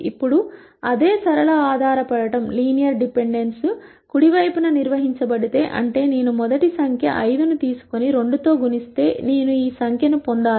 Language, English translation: Telugu, Now if the same linear dependence is maintained on the right hand side; that is if I take the first number 5 and multiply it by 2 I should get this number